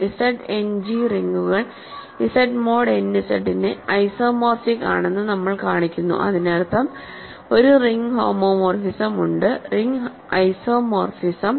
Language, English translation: Malayalam, We show that Z End G is isomorphic to Z mod n Z as rings; that means, there is a ring homomorphism, ring isomorphism from let me reverse the direction does not matter